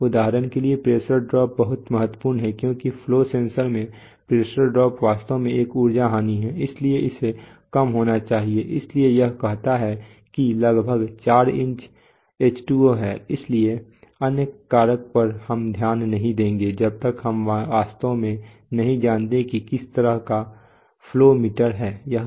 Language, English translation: Hindi, For example pressure drop is very important because the pressure drop in the flow sensor is actually an energy loss, so it should be low, so it says that approximately 4 inch H2O, so the other factors we will not understand so much unless we really know what sort of a flow meter it is